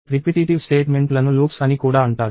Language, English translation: Telugu, So, repetitive statements are also called loops